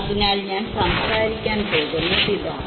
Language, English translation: Malayalam, So, this is what I am going to talk about